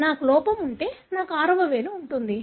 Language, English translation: Telugu, If I have the defect I am going to have a sixth finger